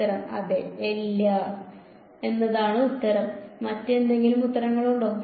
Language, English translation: Malayalam, Answer is yes, answer is no; any other answers